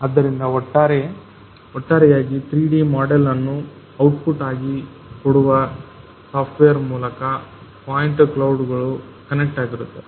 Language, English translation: Kannada, So, ultimately the point clouds will be connected through a software that will give you the output as a 3D model